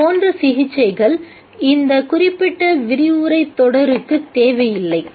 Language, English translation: Tamil, Such treatments are not needed in this particular series of lectures